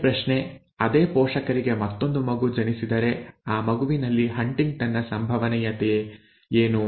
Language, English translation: Kannada, Same question if another child is born to the same parents what is the probability for HuntingtonÕs in that child, okay